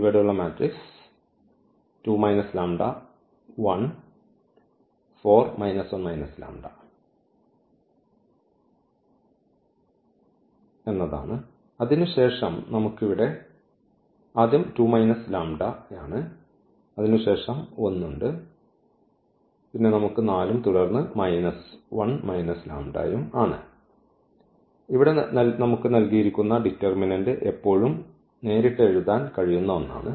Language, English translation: Malayalam, The matrix here is 2 minus lambda and then we have here 1 and here we have 4 and then minus 1 and the minus lambda, that is the determinant here which we can directly always we can read write down for this given matrix A